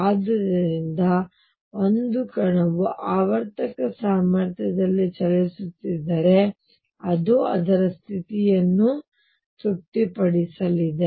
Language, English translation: Kannada, So, if a particle is moving in a periodic potential this is the property that it is going to satisfy